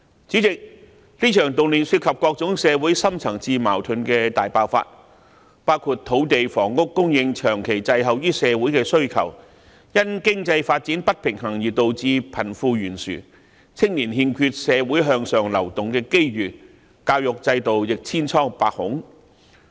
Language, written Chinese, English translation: Cantonese, 主席，這場動亂涉及各種社會深層次矛盾的大爆發，包括土地房屋供應長期滯後於社會的需求、因經濟發展不平衡而導致貧富懸殊、青年欠缺社會向上流動的機遇、教育制度亦千瘡百孔。, President this social unrest involves the explosion of various deep - rooted social conflicts including land and housing supply lagging behind the needs of society for many years the wide wealth gap resulted from the imbalance in economic development lack of upward movement opportunities for young people and the problem - ridden education system